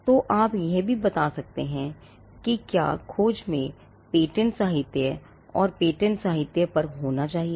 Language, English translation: Hindi, So, or you could also you could also stipulate whether the search should contain patent literature and on patent literature